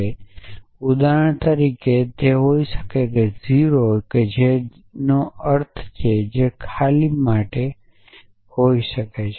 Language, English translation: Gujarati, So, it could be something like for example, 0 which stands for 0 or which could stands for an empty